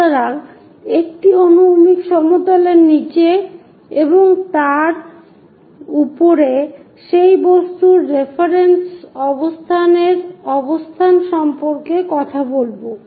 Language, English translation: Bengali, So, a horizontal plane above that below that we talk about position of reference position of that object